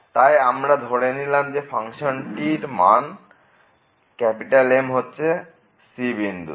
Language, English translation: Bengali, So, we take that the function is taking this value at a point